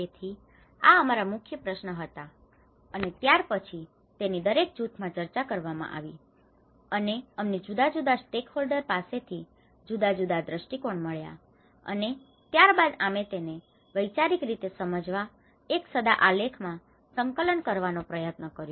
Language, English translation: Gujarati, So this was our main important questions and after that is the thorough discussions happen within each groups, and we are collecting different viewpoints from different stakeholders, and then we try to compile in this one simple diagram a conceptual understanding